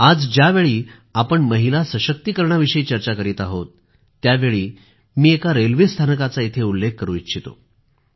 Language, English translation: Marathi, Today, as we speak of women empowerment, I would like to refer to a railway station